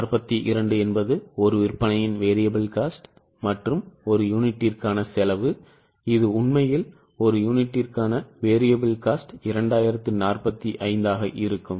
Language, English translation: Tamil, 42 was a variable cost of sales and cost per unit this is the variable cost per unit actually will be 2045